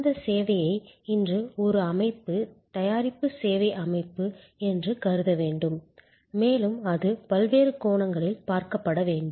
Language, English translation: Tamil, That service today must be thought of as a system, product service system and it must be looked at from different perspectives